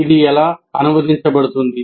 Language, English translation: Telugu, Now, how does it get translated